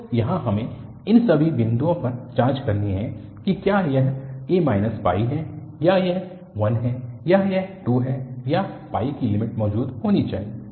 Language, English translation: Hindi, So here, we have to check at all these points, whether it is a minus pi or it is 1 or it is 2 or pi, that the limit should exist